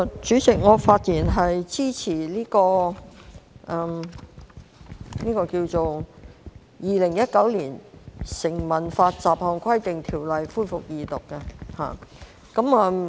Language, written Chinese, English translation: Cantonese, 主席，我發言支持《2019年成文法條例草案》恢復二讀辯論。, President I speak in support of the resumption of Second Reading debate on the Statute Law Bill 2019 the Bill